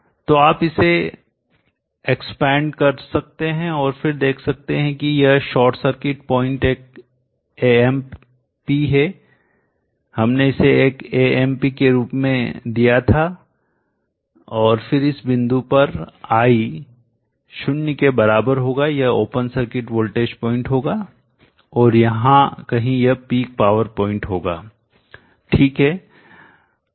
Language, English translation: Hindi, So you can expand it and then see that this is the short circuit point one amp we had given it as one amp and then this point at I equal to zero this will be the open circuit voltage point and somewhere here would be the peak power point okay